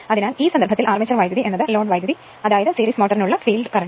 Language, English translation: Malayalam, So, in that case armature current is equal to load current is equal to field current for series motor